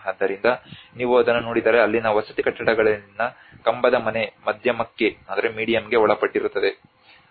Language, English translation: Kannada, So if you look at it the pillared house in the residential buildings there a subjected the medium